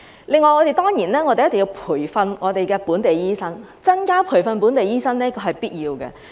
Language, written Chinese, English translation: Cantonese, 此外，我們一定要培訓本地醫生，增加培訓本地醫生是必要的。, Moreover we must train local doctors and it is necessary to increase the places for training local doctors